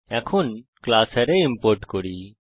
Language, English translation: Bengali, Let us now import the class Arrays